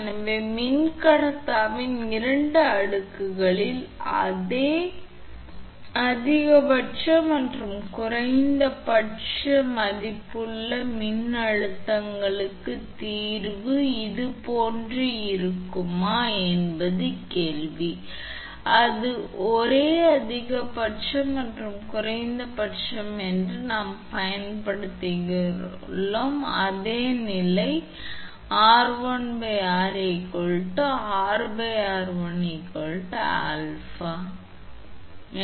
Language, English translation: Tamil, So, question is that solution will be something like this, for the same maximum and minimum value electric stresses in the two layers of dielectric, if it is the same maximum and minimum then same condition we will use r1 upon r is equal to R upon r1 is equal to alpha therefore, R upon r is equal to alpha square because r1 upon r is alpha right and R upon r1 alpha you multiply then you will get r1 r1 cancel R by r alpha square therefore, alpha is equal to R upon r to the power half that is under root right